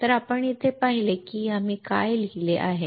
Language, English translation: Marathi, So, if you see here, what we have written